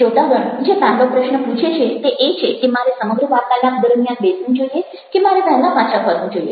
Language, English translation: Gujarati, first question audience is asking is that: should i sit through the entire talk or should i go back earlier